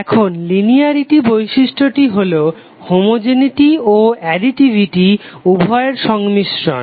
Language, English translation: Bengali, Now linearity property is a combination of both homogeneity and additivity